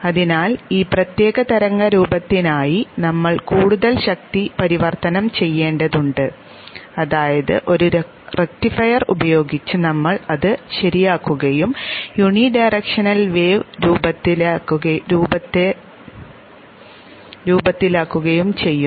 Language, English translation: Malayalam, Therefore we need to do a further power conversion for this particular wave shape that is we rectify it using a rectifier and make the wave shape into a unidirectional wave shape